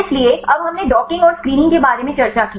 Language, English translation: Hindi, So, now we discussed about the docking and screening